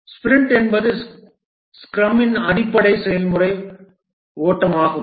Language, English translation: Tamil, The sprint is the fundamental process flow of scrum